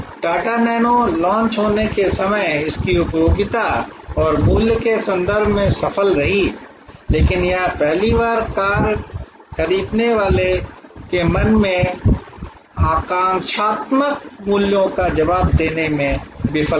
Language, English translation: Hindi, The Tata Nano was successful in terms of the utility and value it offered when it was launched, but it failed to respond to the aspirational values in the minds of the first time car buyer